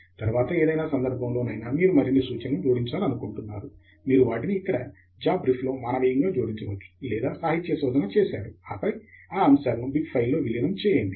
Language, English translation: Telugu, At any point if you want add more references, you could add them a manually here in JabRef or you can do a literature survey, and then, merge those items into the bib file